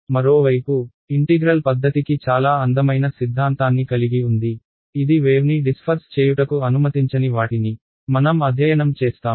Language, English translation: Telugu, On the other hand, integral methods have a very beautiful theory within them which we will study which do not allow the wave to disperse